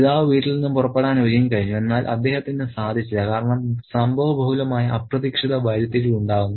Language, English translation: Malayalam, So, the father is all set to leave the home, but he doesn't because there is an unexpected turn of events